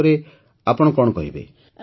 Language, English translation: Odia, What would you like to say